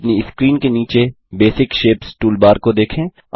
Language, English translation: Hindi, Look at the Basic Shapes toolbar in the bottom of your screen